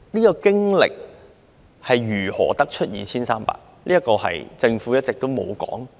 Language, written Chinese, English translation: Cantonese, 究竟是如何得出 2,300 宗這個數字呢？, How does the Government arrive at this figure of 2 300 cases?